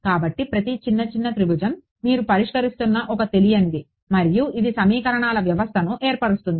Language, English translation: Telugu, So, every little little triangle is an unknown that you are solving for and that forms the system of equations